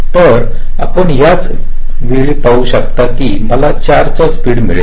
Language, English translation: Marathi, so you can see, in the same time i am able to have a speed up of about four